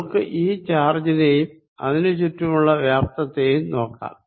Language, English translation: Malayalam, so let us look at this charge and the volume around it